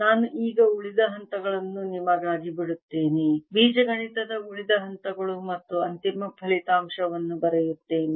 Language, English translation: Kannada, i'll now leave the rest of the steps for you, rest of the steps of algebra, and write the final result